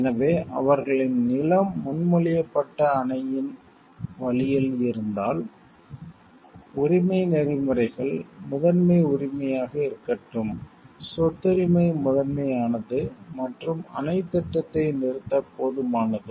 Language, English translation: Tamil, So, if their land happens to be in the way of a proposed dam, then rights ethics would hold let the paramount right is the property right is paramount and is sufficient to stop the dam project